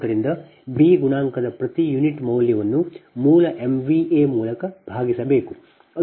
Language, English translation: Kannada, so per unit value of b coefficient must be divided by base m v a